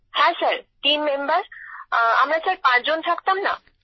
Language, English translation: Bengali, Yes…team members…we were five people Sir